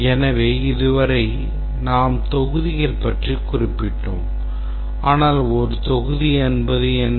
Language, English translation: Tamil, So, we have been referring modules, but what exactly is a module